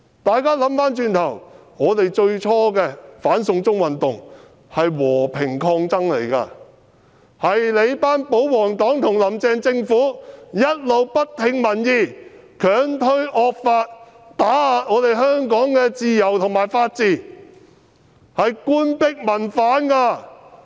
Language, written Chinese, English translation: Cantonese, 大家回想一下，在最初的"反送中"運動中，我們是和平抗爭的，完全是你們這群保皇黨和"林鄭"政府一直不聽民意、強推惡法、打壓香港自由和法治，這是官逼民反！, Looking back in the beginning of the anti - extradition to China movement we were peaceful in putting up a fight . It was all because these people of you in the royalist camp and the Carrie LAM Administration turning a deaf ear to public views and forcing through the draconian law to suppress the freedoms and rule of law in Hong Kong . What happens now is the people putting up resistance in response to the Governments oppression!